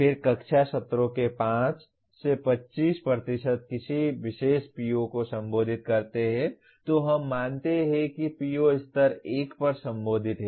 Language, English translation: Hindi, Then 5 to 25% of classroom sessions are address a particular PO then we consider that PO is addressed at level 1